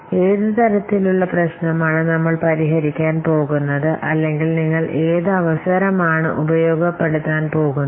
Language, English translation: Malayalam, So, what kind of problem we are going to solve or what opportunity you are going to exploit